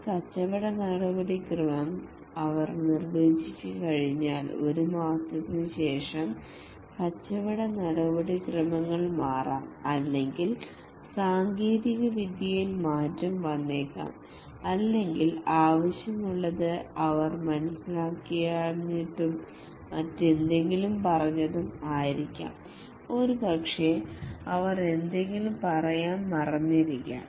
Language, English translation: Malayalam, Once they have defined a business procedure, maybe after a month the business procedure changes or maybe the technology changes or maybe they might have not understood what is required and told something else